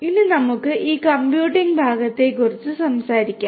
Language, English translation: Malayalam, Now, let us talk about this computing part